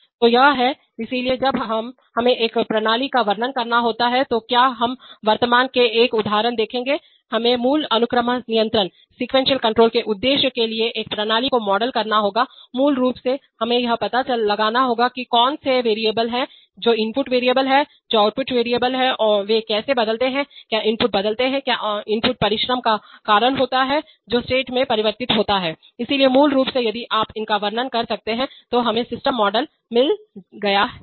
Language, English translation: Hindi, So this is, so when we have to describe a system will we will presently see an example, we have to, basically wherever we want to model a system for the purpose of logical sequence control, we have to find out which are the variables, which are the input variables, which are the output variables, how those change, what input change, what input exertion causes what state change, so basically if you can describe these then we have got the system model